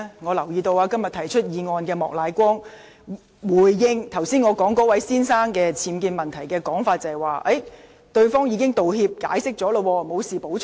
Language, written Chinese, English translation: Cantonese, 我留意到，提出是項議案的莫乃光議員，就我剛才提到那位先生的僭建問題作出回應時表示，對方已道歉並作出解釋，因此他沒有補充。, When Mr Charles Peter MOK the proposer of the motion was asked to respond to the UBWs case of the gentleman I have just made reference to I have noticed that he said that he had nothing to add because the gentleman had already offered an apology and explanation